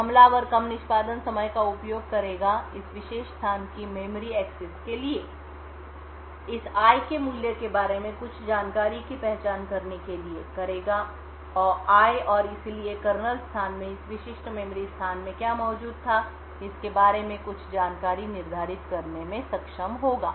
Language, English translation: Hindi, Now the attacker would use this lower execution time for memory access of this particular location, identify some information about the value of i and therefore be able to determine some information about what was present in this specific memory location in the kernel space